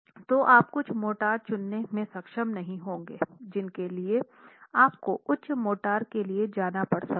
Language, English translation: Hindi, So you might not be able to choose some motors, you might have to go for higher motors